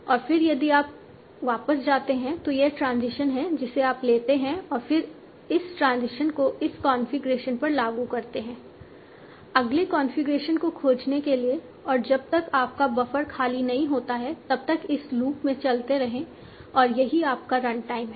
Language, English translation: Hindi, And then if you go back, this is the transition you take and then apply this transition over this configuration to find the next configuration and keep on going in this loop until your buffer is empty